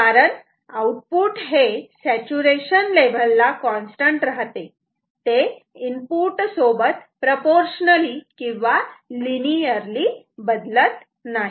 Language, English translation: Marathi, Because, output is going to be constant at the saturation levels is not going to change linearly or proportionally with the input